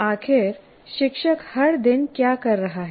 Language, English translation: Hindi, After all, what is the teacher doing every day